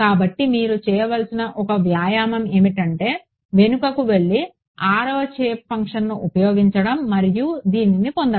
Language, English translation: Telugu, So, one exercise which you should do is go back and try to use the 6th shape functions and derive this